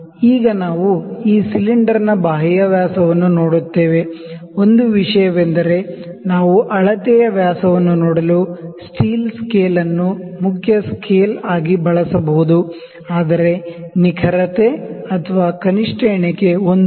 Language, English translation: Kannada, Now we will see the external dia of this cylinder, one thing is that we can just use the main scale just using the steel rule to see the measure dia, but the accuracy or the least count they would be 1 mm